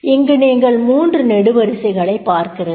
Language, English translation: Tamil, So, there are three columns you will see